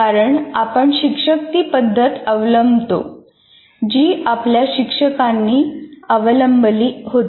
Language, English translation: Marathi, Because we teachers follow the method our teachers followed